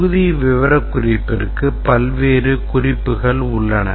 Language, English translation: Tamil, There are various notations for module specification